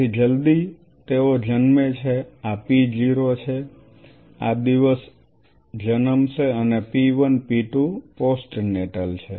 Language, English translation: Gujarati, So, as soon as they are born this is p 0 this is the day will be born and p 1 p 2 postnatal